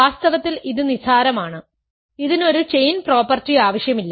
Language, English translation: Malayalam, In fact, this is trivial; this does not require a chain property